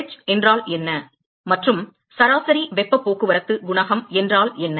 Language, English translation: Tamil, What is h and what is average heat transport coefficient